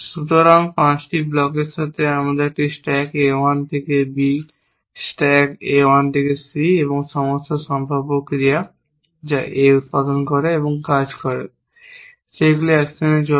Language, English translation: Bengali, So, with this 5 blocks pick up a stack A 1 to B, stack A 1 to C, all possible actions that produce and work A goes actions